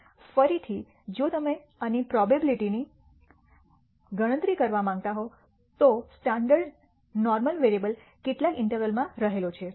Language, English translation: Gujarati, Again, if you want to compute the probability of this, that the standard normal variable lies within some interval